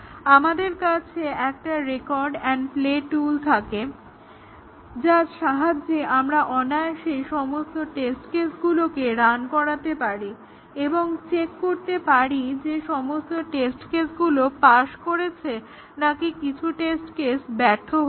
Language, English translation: Bengali, If we have a record and play tool, we just effortlessly run all test cases and check whether all test cases pass or some test cases have failed